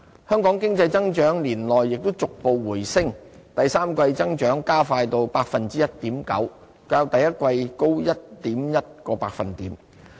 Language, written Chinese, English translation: Cantonese, 香港經濟增長年內亦逐步回升，第三季增長加快至 1.9%， 較第一季高 1.1 個百分點。, Hong Kongs economic growth also picked up gradually during the year and accelerated to 1.9 % in the third quarter a rise of 1.1 percentage points from the first quarter